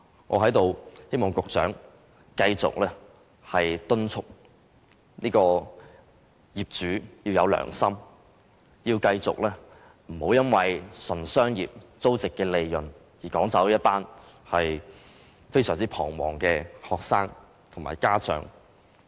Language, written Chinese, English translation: Cantonese, 我在此希望局長繼續敦促業主要有良心，不要純粹因為商業上的租值利潤而趕走一群非常彷徨的學生和家長。, I also hope that the Secretary will continue to urge the landlord to be more conscience minded and do not drive away a group of anxious students and parents just because of its business consideration of rental profit